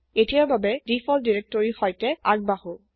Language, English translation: Assamese, For now let us proceed with the default directory